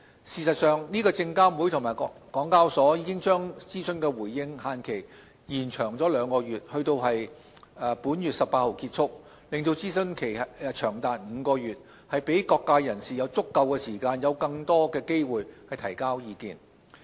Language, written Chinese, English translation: Cantonese, 事實上，證監會及港交所已把諮詢的回應期限延長兩個月至本月18日結束，令諮詢期長達5個月，讓各界人士有足夠時間和更多機會提交意見。, In fact SFC and HKEx have pushed back the consultation feedback deadline for two months till the 18 of this month extending the consultation period to five months so as to allow enough time and more opportunities for people from all sides to file their comments